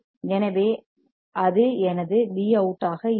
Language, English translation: Tamil, So, that will be my V out